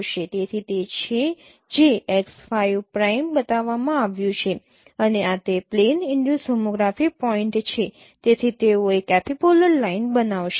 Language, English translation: Gujarati, So that is what is shown x5 prime and this is the plane induced tomography point so they will form an epipolar line